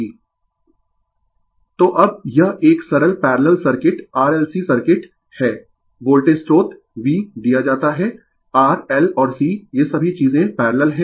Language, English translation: Hindi, So, now this is a simple parallel circuit right RLC circuit, voltage source V is given, R, L and C, all these things are parallel